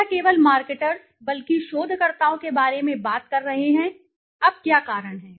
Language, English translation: Hindi, We are not only talking about marketers but also researchers, yes, now what are the reasons